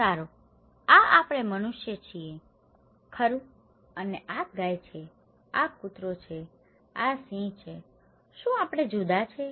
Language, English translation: Gujarati, Well, this is we human being, right and this is a cow, this is dog, this is lion, are we different